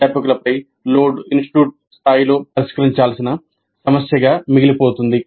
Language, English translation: Telugu, Load on the faculty remains an issue to be resolved at the institute level